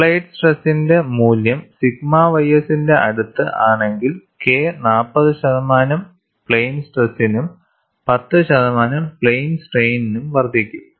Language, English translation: Malayalam, If the value of applied stress is closer to sigma ys, K will increase by 40 percent in plane stress and 10 percent in plane strain, so that relative increase of K is significant